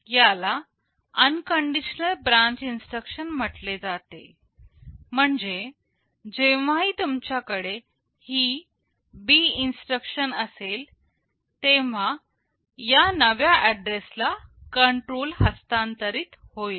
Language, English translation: Marathi, This is called unconditional branch instruction meaning that whenever you have this B instruction, there will always be a control transfer to this new address